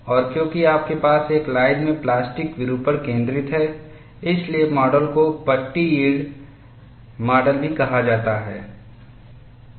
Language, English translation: Hindi, And because you have plastic deformation concentrates in a line, the model is also termed as strip yield model